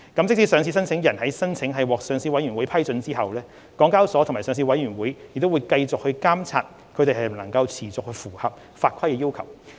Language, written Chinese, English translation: Cantonese, 即使上市申請人的申請獲上市委員會批准後，港交所及上市委員會仍會繼續監察它們能否持續符合法規的要求。, Even after a listing applicants case has obtained the Listing Committees approval HKEX and the Listing Committee will still monitor whether it can comply with the requirements of the regulations on an ongoing basis